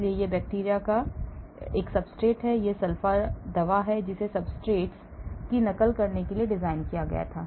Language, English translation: Hindi, so this is a substrate of bacteria, this is the sulfa drug which was designed to mimic the substrate